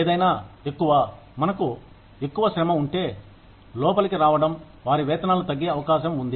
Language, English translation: Telugu, Anything more, if we have more labor coming in, their wages are likely to come down